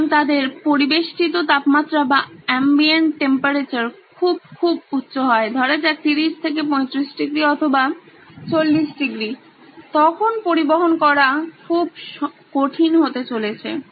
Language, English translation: Bengali, So if their ambient temperature is very very high, say in the order of 30 35 degrees or 40 degrees it’s going to be very difficult transporting these chocolates